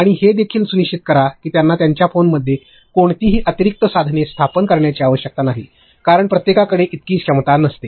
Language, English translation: Marathi, And also make sure that no extra tools they need to install in their phones because not everybody has that much of capacity